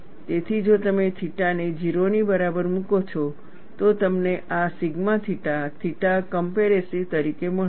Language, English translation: Gujarati, So, if you put theta equal to 0, you get this sigma theta theta as compressive